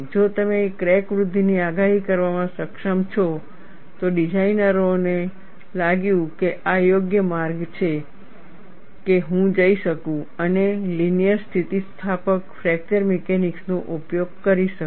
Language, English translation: Gujarati, If you are able to predict the crack growth, then designers felt, this is the right way that I can go and use linear elastic fracture mechanics